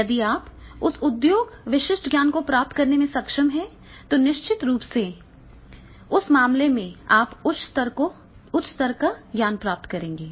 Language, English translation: Hindi, If you are able to get that industry specific knowledge, then in that case definitely you will be getting the higher level of the your knowledge